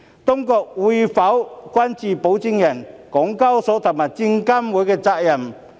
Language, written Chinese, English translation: Cantonese, 當局會否關注保薦人、港交所和證監會的責任？, Will the authorities look into the responsibilities of the sponsors HKEX and SFC?